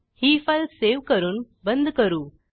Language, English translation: Marathi, Now let us save this file and close it